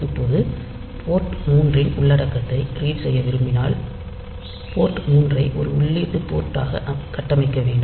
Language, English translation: Tamil, Now, since we want to read the content of port 3, port 3 has to be configured as an input port